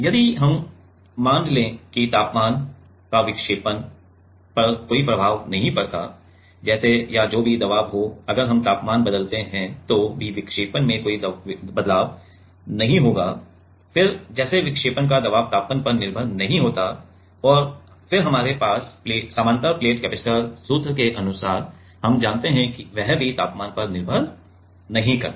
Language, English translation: Hindi, If we assume that there is no effect of temperature on the deflection; like or whatever be the pressure if we change the temperature also there will be no change in the deflection, then like pressure to deflection is not dependent on the temperature and then according to our parallel plate capacitor formula already, we know that that is also not depended on temperature